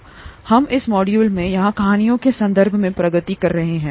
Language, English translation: Hindi, We are progressing in terms of stories here in this module